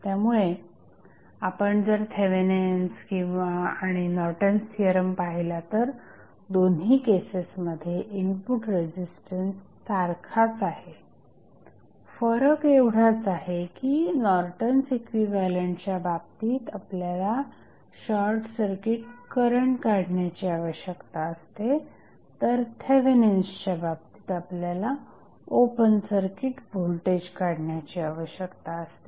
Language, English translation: Marathi, So, if you see Thevenin's and Norton's theorem, the input resistance is same in both of the cases the only change is the short circuit current which we need to find out in case of Norton's equivalent while in case of Thevenin's we need to find out the open circuit voltage